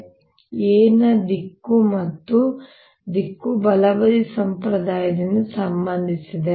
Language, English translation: Kannada, now l direction and direction of are related by the right hand convention